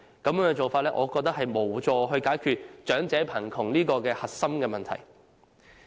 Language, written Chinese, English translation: Cantonese, 我認為這種做法無助解決長者貧窮這核心問題。, I think this approach can in no way help addressing our major problem of elderly poverty